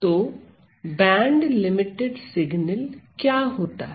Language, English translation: Hindi, So, so then what is the band limited signal